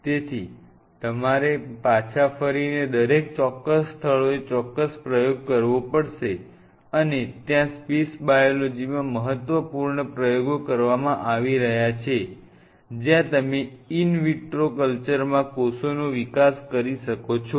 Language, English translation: Gujarati, So, you have to curve out and each of certain spots to have certain specific experiment and one of the critical experiments what is being done in space biology is where you wanted to simulate the growth of cells in an in vitro culture